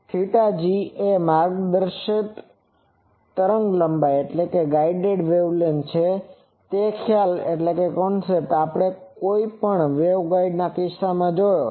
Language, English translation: Gujarati, Lambda g is the guided wavelength that concept we have seen in case of any waveguide